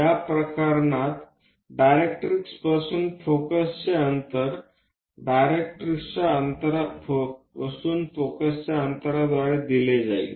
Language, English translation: Marathi, In this case, the distance of focus from the directrix will be given distance of focus from the directrix